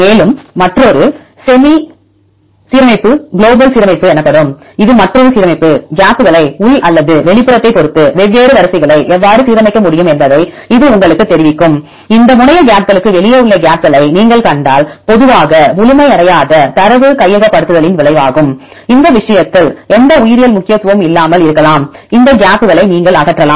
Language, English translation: Tamil, And also another alignment called semi global alignment this will tell you how we can align the different sequences with respect to gaps, internal or the outside; some case if you see the gaps outside these terminal gaps are usually result of incompleted data acquisition and may not have any biological significance in this case; you can remove these gaps